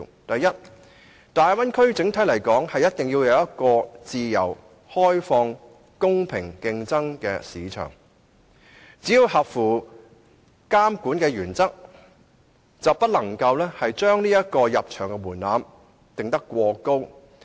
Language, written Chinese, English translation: Cantonese, 第一個中心思想：大體而言，大灣區必須提供一個自由開放、容許公平競爭的市場，只要合乎監管的原則，卻不能將入場門檻定得過高。, The first central principle is that overall the Bay Area must provide a free and open market or a level playing field that only requires compliance with regulatory requirements . But the threshold of market entry must not be overly high